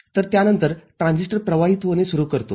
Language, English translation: Marathi, So, after that the transistor starts conducting